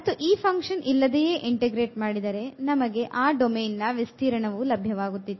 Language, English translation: Kannada, And, just integrating without this function we were getting the area of the domain of integrations